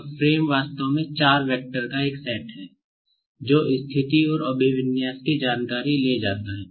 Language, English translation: Hindi, Now, frame is actually a set of four vectors, which carry information of the position and orientation